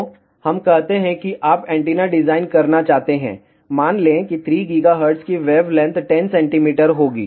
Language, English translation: Hindi, So, let us say you want to design antenna, let say at 3 gigahertz of wavelength will be 10 centimeter